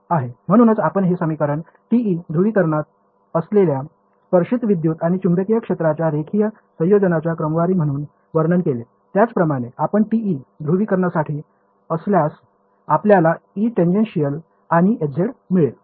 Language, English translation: Marathi, So, we have interpreted these equations as sort of a linear combination of the tangential electric and magnetic fields this was in TM polarization; similarly, if you for TE polarization you would get E tangential and Hz